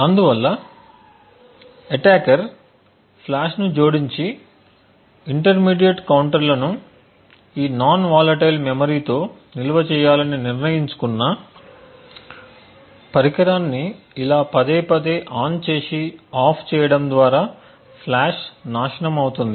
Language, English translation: Telugu, Thus, even if the attacker decides to add flash and store the intermediate counters in this non volatile memory the flash would get destroyed by this repeated turning on and turning off the device